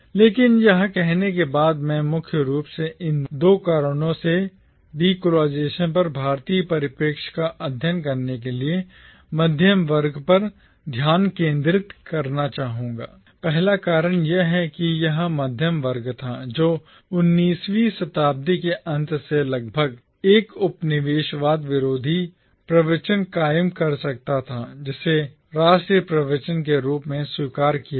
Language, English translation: Hindi, But having said this I would still like to focus on the middle class to study the Indian perspective on decolonisation primarily for these two reasons: The first reason is that it was the middle class who from around the late 19th century could forge an anti colonial discourse which got accepted as the national discourse